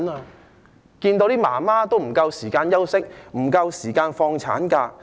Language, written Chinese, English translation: Cantonese, 是否想看到母親不夠時間休息、不能夠延長產假？, Does it want these mothers to have insufficient time to rest when their maternity leave cannot be extended?